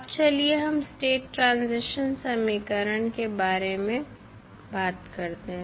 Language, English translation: Hindi, Now, let us talk about the state transition equation